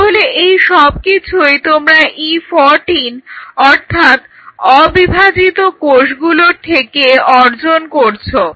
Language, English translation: Bengali, So, these ones you are achieving from the E 14 right non dividing cells